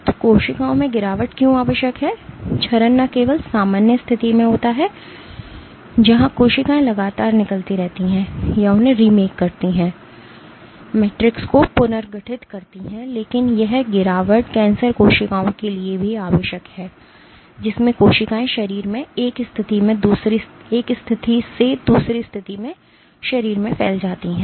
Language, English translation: Hindi, So, cells can why is degradation necessary; degradation is necessary not just in the normal case where cells continuously remodel or remake them, reorganize the matrix, but this degradation is essential for cancer cells in which cells spread from one position in the body to another position in the body